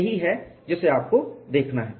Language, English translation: Hindi, That is what you have to look at it